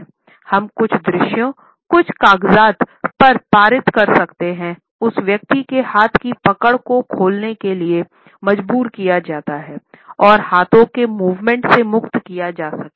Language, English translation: Hindi, We can pass on certain visuals we can pass on certain papers so, that the person is forced to open the hand grip and the hand movements can be freer